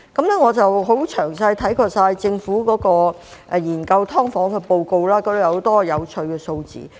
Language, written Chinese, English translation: Cantonese, 我詳細地看過政府研究"劏房"的報告，當中載有很多有趣的數字。, I have thoroughly read the Government report on the study of SDUs which contains many interesting figures